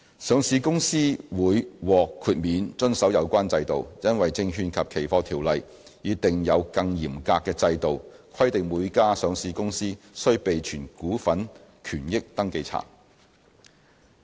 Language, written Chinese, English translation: Cantonese, 上市公司會獲豁免遵守有關規定，因為《證券及期貨條例》已訂有更嚴格的制度，規定每家上市公司須備存股份權益登記冊。, Listed companies will be exempted from the relevant requirements as the Securities and Futures Ordinance has a more stringent regime requiring every listed corporation to keep a register of interests in shares